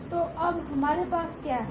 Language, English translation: Hindi, So, what we have now